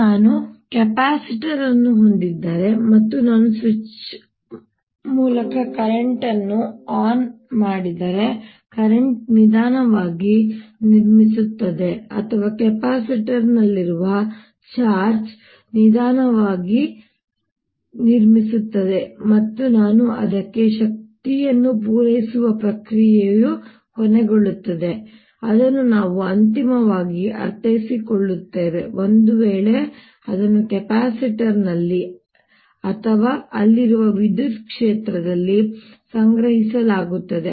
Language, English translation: Kannada, very similar to recall: if i have a capacitor and i turned a current on through a switch, the current builds up slowly, or the charge in the capacitor builds up slowly, and the process: i end up supplying energy to it, which we finally interpret as if its stored either in the capacitor or in the electric field that is there